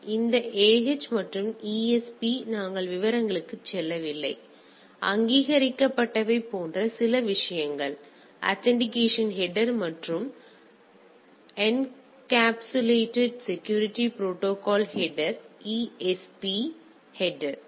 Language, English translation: Tamil, So, this AH and ESP we are not going into details; so, the things that those are some of the things like authenticated; authentication header and encapsulated security protocol header ESP header